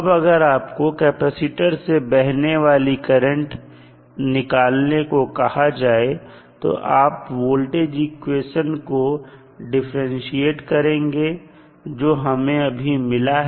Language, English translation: Hindi, Now, if you are asked to find out the current through the capacitor you have to just simply differentiate the voltage equation which we have got